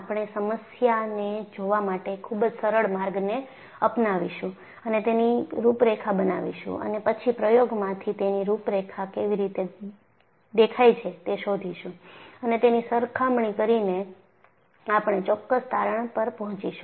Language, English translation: Gujarati, We would take a very simple route of looking at problem and plot a contour, and then find out from an experiment how the contours look like; by comparison, we will arrive at certain conclusions